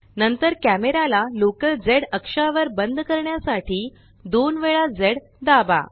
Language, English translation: Marathi, Then press Z twice to lock the camera to the local z axis